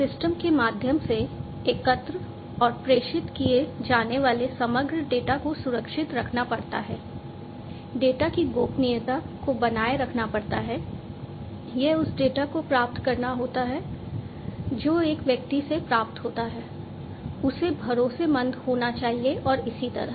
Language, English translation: Hindi, The overall the data that is collected and is transmitted through the system it has to be secured, the privacy of the data has to be maintained, it has to be the data that is received from one person, it has to be trustworthy and so on